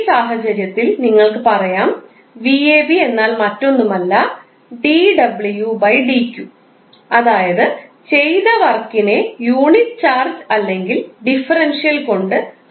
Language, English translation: Malayalam, You will simply say v ab is nothing but dw/dq, that is work done divided by the unit charge or the differential charge in this case